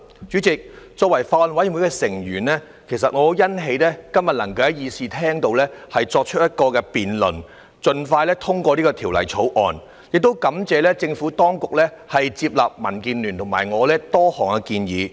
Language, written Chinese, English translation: Cantonese, 主席，作為法案委員會的成員，其實我很欣喜今天能夠在議事廳作出辯論，盡快通過《條例草案》，亦感謝政府當局接納民建聯和我的多項建議。, President as a member of the Bills Committee I am actually so glad that a debate can be held today in the Chamber for passing the Bill as soon as possible . I also thank the Administration for accepting the various proposals from DAB and me